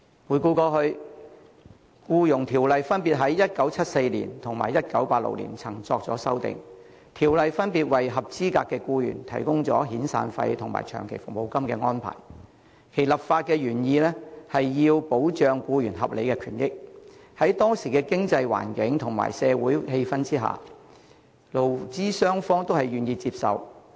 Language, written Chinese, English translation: Cantonese, 回顧過去，《僱傭條例》曾於1974年及1986年作出修訂，分別訂明合資格僱員可獲提供遣散費和長期服務金，其立法原意是要保障僱員合理權益，在當時經濟環境及社會氣氛下，勞資雙方都願意接受。, Amendments were made to the Employment Ordinance respectively in 1974 and 1986 to provide for the provision of severance and long service payments to eligible employees . The legislative intent was to protect employees legitimate interests . Under the then economic environment and social atmosphere both employers and employees were willing to accept the amendments